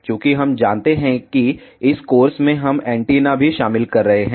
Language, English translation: Hindi, Since, we know in this course we are also covering antennas